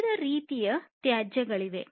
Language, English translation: Kannada, So, there are different types of wastes